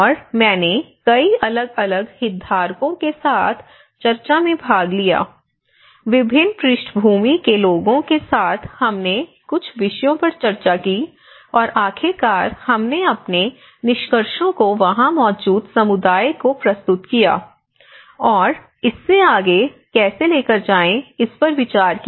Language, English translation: Hindi, And I was also participated in number of discussions there with various different stakeholders coming into the discussion, people from different backgrounds and we did discussed on certain themes, and finally we also present our findings to the community present over there and how to take it forward